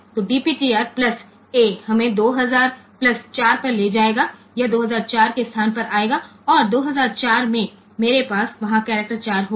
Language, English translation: Hindi, So, DPTR plus a will take us 2 thousand plus 4 it will come to the location 2004 and in 2004 I will have the character 4 there